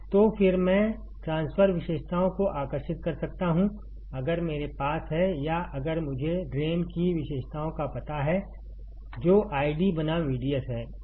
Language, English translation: Hindi, So again, I can draw the transfer characteristics, if I have or if I know the drain characteristics that is I D versus V D S